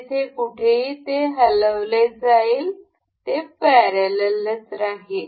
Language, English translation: Marathi, Anywhere it moves, it will remain parallel